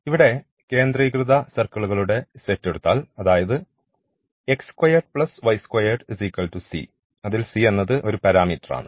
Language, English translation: Malayalam, And the examples here the first set of this concentric circles if we take; that means, x square plus y square is equal to c and c is a parameter